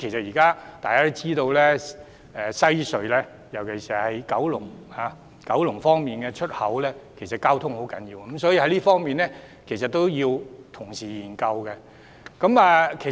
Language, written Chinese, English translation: Cantonese, 大家也知道，現時西隧九龍出口的交通十分重要，所以這方面亦需要同時研究。, As we all know the traffic connecting the Kowloon exit of WHC is crucial . Therefore it is necessary to study this aspect at the same time